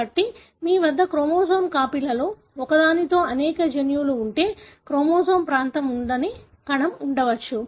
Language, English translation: Telugu, So, you may have a cell in which one of the copies of the chromosome do not have this region of the chromosome which may have several genes